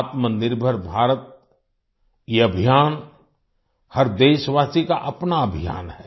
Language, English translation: Hindi, This campaign of 'Atmanirbhar Bharat' is the every countryman's own campaign